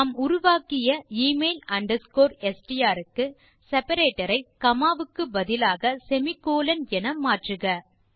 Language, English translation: Tamil, For the email underscore str that we generated, change the separator to be a semicolon instead of a comma